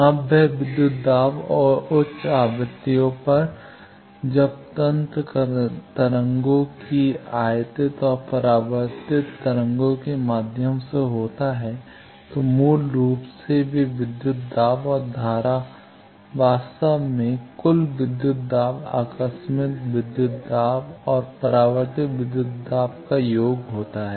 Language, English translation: Hindi, Now, that voltage and current at high frequencies when the mechanism is through waves incident and reflected waves, basically those voltage and current is actually the total voltage total of the incidental voltage and reflected voltage current means total currents due to the incident current wave and reflected current wave